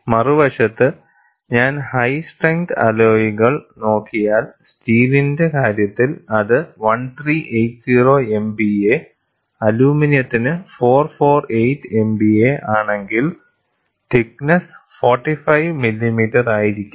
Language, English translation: Malayalam, On the other hand, if I go for high strength alloys, in the case of steel, if it is 1380 MPa, 448 MPa for aluminum, the thickness is like 45 millimeter; so almost two thirds of it